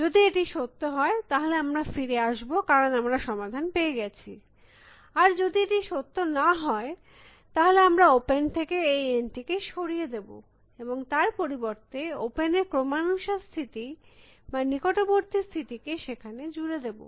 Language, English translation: Bengali, If it is true, then we should return, we are found the solution; if it is not true, we will remove this N from open, and add instead the successors of open or the neighbors of the open to that